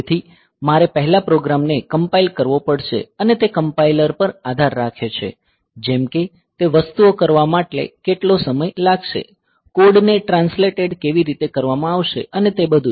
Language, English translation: Gujarati, So, I have to first compile the program and it depends on the compiler like how much time it will take for doing those things ok; for how the code will be translated and all that